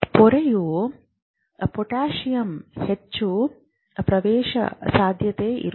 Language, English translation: Kannada, But the membrane is much more permeable to potassium